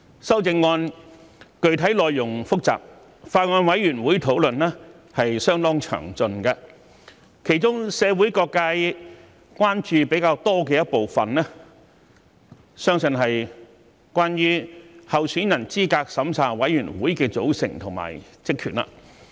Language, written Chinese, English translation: Cantonese, 修正案具體內容複雜，法案委員會的討論相當詳盡，其中社會各界關注比較多的部分，相信是關於香港特別行政區候選人資格審查委員會的組成及職權。, The specific contents of the amendments are complicated on which the Bills Committee has held thorough discussions . The part that aroused more public concerns should be the composition and duties of the Candidate Eligibility Review Committee CERC